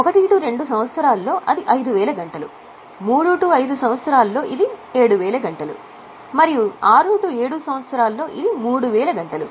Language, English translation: Telugu, Let us say in year 1 2, it's 5,000, 3,000, it's 7,000 and 6 7 it is 3,000